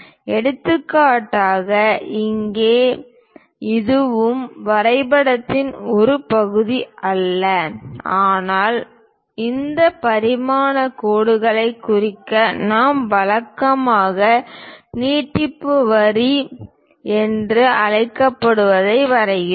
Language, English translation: Tamil, For example, here this one and this one these are not part of the drawing, but to represent these dimension line we usually draw what is called extension line